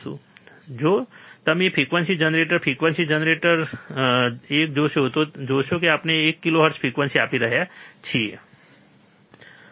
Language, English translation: Gujarati, So, if you see the frequency generator, frequency generator, this one, you will see we have we are applying one kilohertz frequency, right